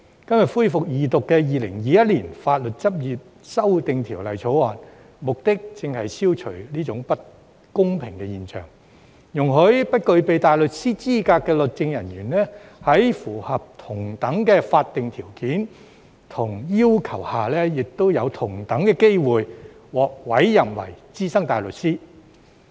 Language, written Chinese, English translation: Cantonese, 今天恢復二讀的《2021年法律執業者條例草案》，目的正是要消除這種不公平的現象，容許不具備大律師資格的律政人員，在符合同等的法定條件和要求下，享有同等機會獲委任為資深大律師。, The Legal Practitioners Amendment Bill 2021 the Bill the Second Reading of which resumes today precisely seeks to eradicate this unfairness by allowing legal officers who are not qualified as barristers to have the same opportunity to be appointed as SC subject to the same statutory conditions and requirements